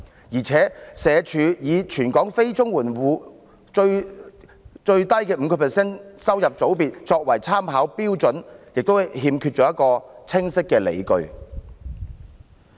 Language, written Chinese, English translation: Cantonese, 而且，社署以全港非綜援住戶最低 5% 收入組別作為參考標準的做法亦欠缺清晰的理據。, Besides SWDs approach of using non - CSSA households in the lowest 5 % income group in the territory as a reference standard lacks clear justification